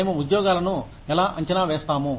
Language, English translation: Telugu, How do we evaluate jobs